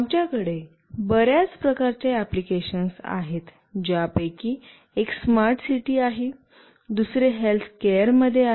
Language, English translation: Marathi, There is a wide variety of applications that we can have, one of which is smart city, another is in healthcare